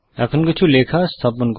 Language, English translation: Bengali, Let us now put some text